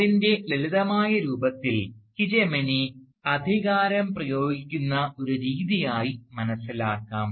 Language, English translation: Malayalam, Now, in its simplest form, hegemony can be understood as a mode of exercising authority